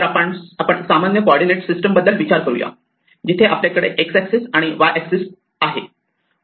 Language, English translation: Marathi, So, we are just thinking about a normal coordinate system, where we have the x axis, the y axis